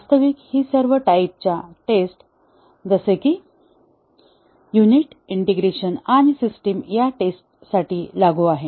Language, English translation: Marathi, Actually, it is applicable for all types of testing, unit, integration and system testing